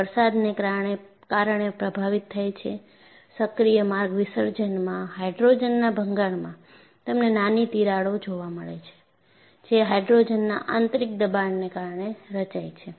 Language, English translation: Gujarati, It is getting affected due to precipitation, in active path dissolution; in hydrogen embrittlement, you find tiny cracks that form due to internal pressure of hydrogen